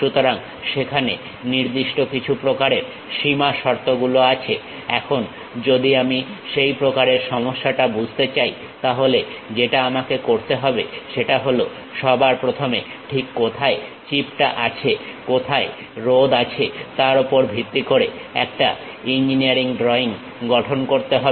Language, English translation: Bengali, So, certain kind of boundary conditions are there; now, if I would like to understand such kind of problem what I have to do is, first of all construct an engineering drawing based on where exactly chip is located, where resistor is present